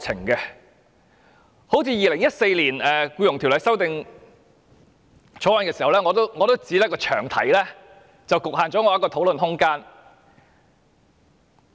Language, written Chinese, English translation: Cantonese, 正如《2014年僱傭條例草案》，我也是被詳題局限了我的討論空間。, As in the case of the Employment Amendment Bill 2014 my room of discussion was also limited by the long title